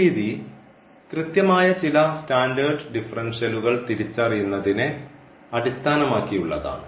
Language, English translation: Malayalam, So, this method is based on the recognition of this some standard exact differential